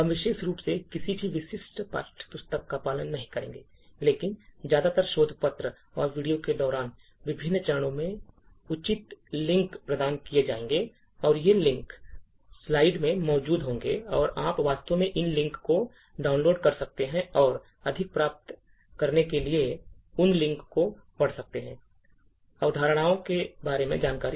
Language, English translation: Hindi, in particular, but mostly research papers and appropriate links would be provided at various stages during the videos and these links would be present in the slides and you could actually download these links and read those links to get more details about the concepts